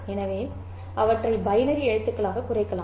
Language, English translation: Tamil, So, we can reduce them to binary letters